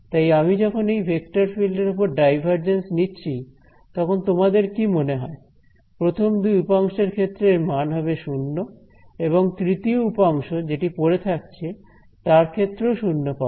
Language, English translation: Bengali, So, when I take the divergence of this vector field over here, what do you expect, only first two turns are 0 I am going to be left with this and which is 0